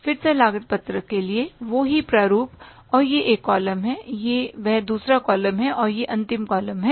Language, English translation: Hindi, Again, the same format for the cost sheet and this is one column, this is the second column and this is the final column